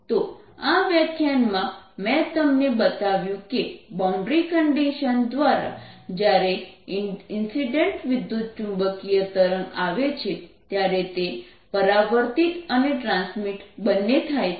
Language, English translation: Gujarati, so what are shown you in this lecture is through the boundary condition when an is incident electromagnetic wave comes, it gets both reflected as well as transmitted